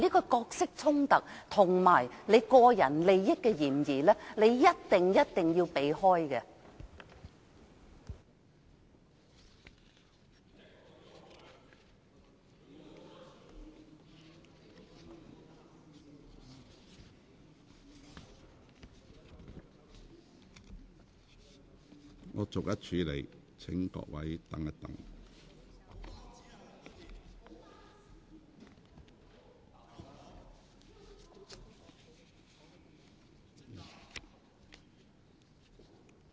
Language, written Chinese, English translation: Cantonese, 這角色衝突與個人利益的嫌疑，你一定要迴避。, It is thus imperative for you to avoid having conflict of roles and personal interest